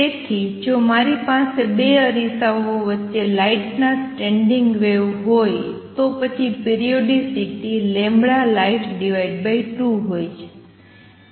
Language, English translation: Gujarati, So, if I have standing wave of light between say 2 mirrors, then the periodicity is lambda light divided by 2